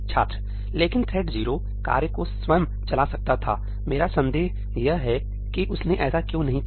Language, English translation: Hindi, But thread 0 could have run the task itself, my doubt is why it has not done that